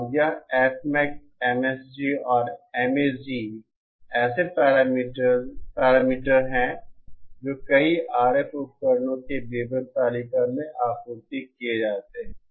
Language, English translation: Hindi, And this F Max, MSG and MAG are the parameters that are supplied in the datasheets of many RF devices